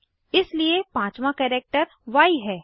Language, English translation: Hindi, Therefore, the 5th character is Y